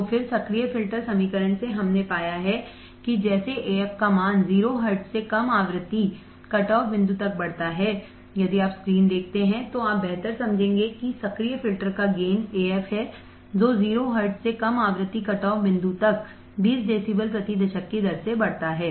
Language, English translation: Hindi, So, then from the active filter equation, we have found that as Af increases from 0 hertz to low frequency cutoff point, if you see the screen, then you will understand better that active filter has a gain Af that increases from 0 hertz to low frequency cutoff point fc at 20 decibels per decade